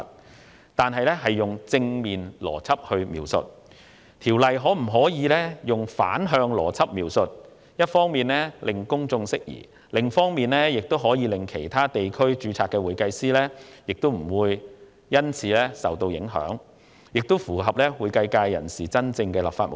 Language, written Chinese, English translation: Cantonese, 現時《條例草案》採用了正面邏輯描述，我建議改用反向邏輯描述，一方面可令公眾釋疑，另一方面亦可令其他地區註冊的會計師免受影響，此舉亦符合會計界人士真正的立法目的。, The existing Bill has adopted descriptions of positive logic while I have proposed to use descriptions of negative logic so as to remove doubts of the public and avoid affecting certified public accountants with overseas registration . This approach will be consistent with the original intention of the Bill for the accounting sector